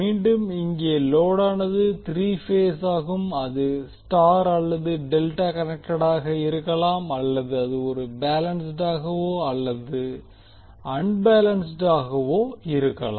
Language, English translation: Tamil, Here again, the load is three phase it can be star or Delta connected or it can be balanced or unbalanced